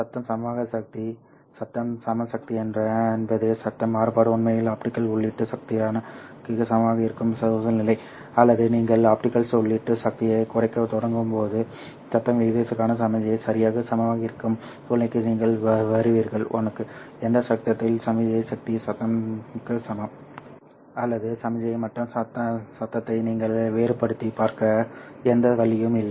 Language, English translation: Tamil, Noise equivalent power is a situation where the noise variance actually is equal to the optical input power or you can as you start reducing the optical input power you will come to a situation where the signal to noise ratio becomes exactly equal to one at which point signal power power is equal to noise power